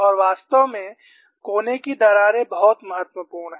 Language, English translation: Hindi, And in reality, corner cracks are very important